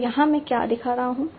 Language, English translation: Hindi, So this we have already seen